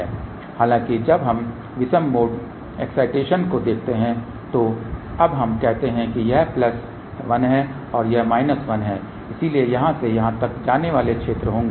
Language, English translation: Hindi, However, when we look at the odd mode excitation , now let us say this is plus 1 this is minus 1, so there will be field going from here to here